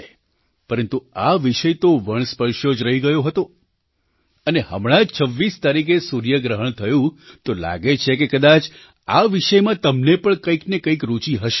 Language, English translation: Gujarati, But this topic has never been broached, and since the solar eclipse occurred on the 26th of this month, possibly you might also be interested in this topic